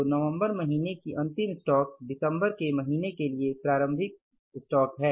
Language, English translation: Hindi, So closing inventory of the month of November is the opening inventory for the month of December